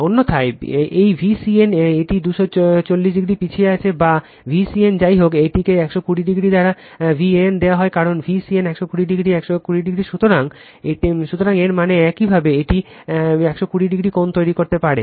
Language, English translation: Bengali, Otherwise, this V c n this is lagging by 240 degree or V c n anyway it is given V a n by 120 degree, because V c n 120 degree by 120 degree, so that means your this one this one you can make V p angle 120 degree